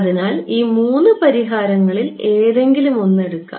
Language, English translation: Malayalam, So, take any one of these three solutions ok